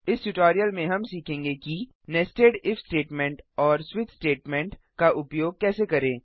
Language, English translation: Hindi, First we will learn, how to write nested if and switch statement with an example